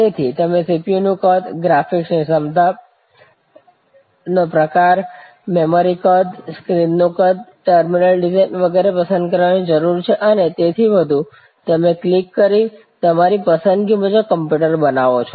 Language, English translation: Gujarati, So, you select the CPU size, you select the kind of graphic capability, you need select the memory size, you select the screen size, the terminal design and so on and you click, click, click, click create the computer to your choice